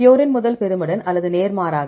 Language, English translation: Tamil, Purine to pyrimidine or vice versa